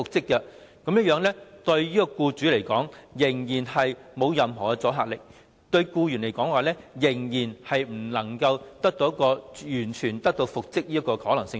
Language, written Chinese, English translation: Cantonese, 所以，《條例草案》對僱主來說，仍然沒有任何阻嚇力，對僱員來說，仍然欠缺完全復職的可能性。, Thus to employers the Bill still has no deterrent effect; and to employees there is still no certainty about reinstatement